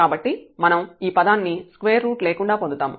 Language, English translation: Telugu, So, we will get this term without square root